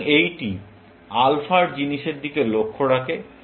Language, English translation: Bengali, So, this takes care of the alpha side of thing